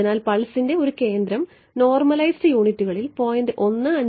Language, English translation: Malayalam, So, they are saying a centre of the pulse is 0